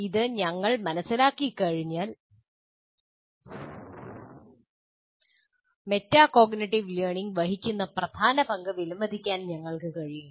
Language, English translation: Malayalam, But once we understand that, we will be able to appreciate the central role that metacognitive learning plays